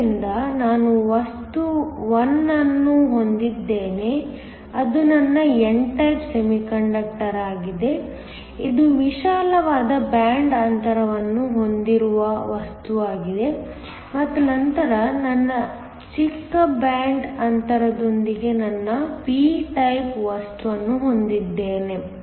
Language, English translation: Kannada, So, I have material 1 which is my n type semiconductor, this is the material with a wider band gap and then I have my p type material with the smaller band gap